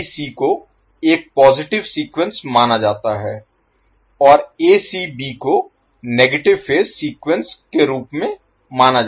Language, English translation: Hindi, So, ABC is considered as a positive sequence and a ACB is considered as a negative phase sequence